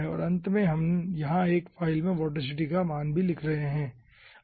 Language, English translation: Hindi, okay, and at the end we are also writing the value of the vorticity over here in a separate file